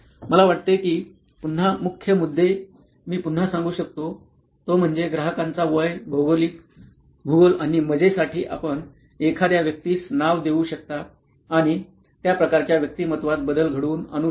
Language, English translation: Marathi, I think the major points again is I will reiterate is the first part which is the demography of the customer, the age, the geography and for fun you can even give a the person a name and that sort of rounds up the personality